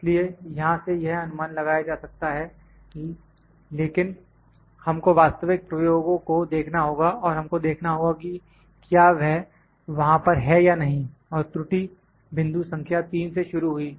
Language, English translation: Hindi, So, it may be inferred from here I am just saying maybe it is not for sure, but we have to see the actual experiments and we have to see whether that is there or not that and error started from here from point number 3